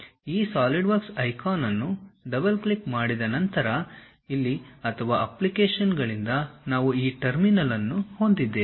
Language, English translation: Kannada, After double clicking these Solidworks icon either here or from the applications we will have this terminal